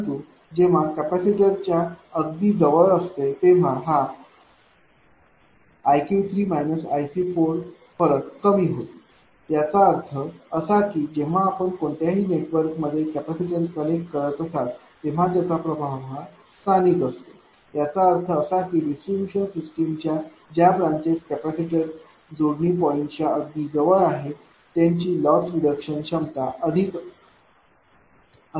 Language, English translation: Marathi, But when is very close to the capacitor this i q 3 minus i is the difference will be less; that means, whenever you are connecting a capacitor at any network right it effect is local; that means, that branches which are very close to for distribution system very close to the capacity connecting point theirs loss reduction will be higher right